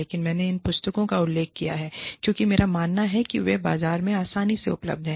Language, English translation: Hindi, But, i have referred to these books, because, i believe, they are readily available in the market